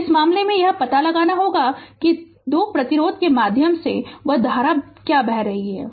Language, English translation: Hindi, So, in this case you have to find out what is that current through 2 ohm resistance